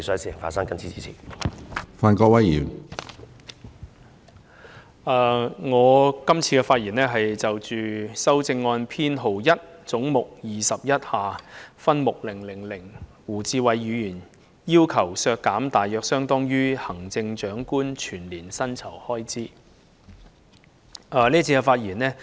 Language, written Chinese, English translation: Cantonese, 我今次是就胡志偉議員提出的第1號修正案發言，即為削減分目000而將總目21削減一筆大約相當於行政長官全年薪酬開支的款額。, In this session I am going to speak on CSA No1 proposed by Mr WU Chi - wai that is to have head 21 be deducted by an amount equivalent to the expenditure of the annual emoluments for the position of Chief Executive in respect of subhead 000